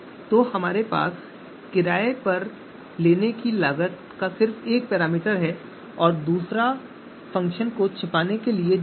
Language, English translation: Hindi, So we have to you know so we have just one parameter renting cost, the other one is dummy which is just to camouflage the function